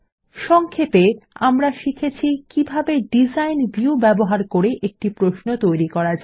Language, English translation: Bengali, In this tutorial, we will learn how to Create a query by using the Design View